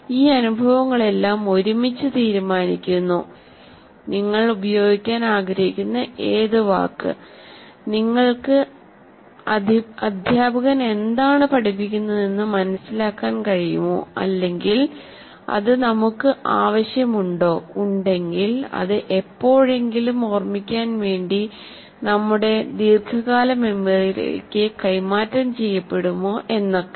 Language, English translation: Malayalam, And all these experiences together decide whether we are, whatever word that you want to use, whether you can make sense of what the teacher is teaching, or it is meaningful to us, whether it will be transferred to our long term memory so that we can recall whenever we want, we remember the process